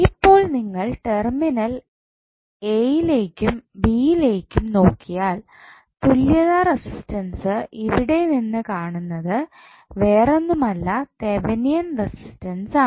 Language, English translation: Malayalam, So, if you look from this side into the terminal a and b the equivalent resistance which you will see from here is nothing but the Thevenin resistance